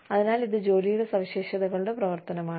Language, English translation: Malayalam, So, this is a function of the characteristics of the job